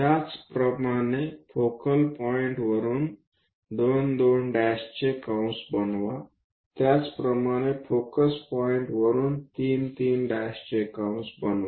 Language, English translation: Marathi, Similarly, from focal point make an arc of 2 2 dash, similarly from focus point make an arc of 3 3 dash and so on